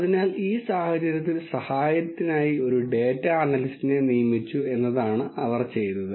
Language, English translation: Malayalam, So, what they have done is they have hired a data analyst to help them out from the situation